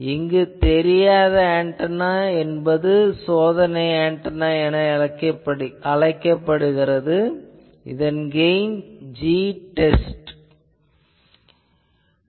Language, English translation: Tamil, Now, to the antenna unknown antenna here I am calling test antenna and it is gain let us say G test